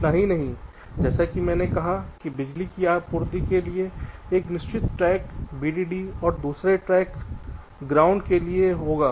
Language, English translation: Hindi, not only that, as i said, there will be a one fixed track for the power supply, vdd, and another fixed track for ground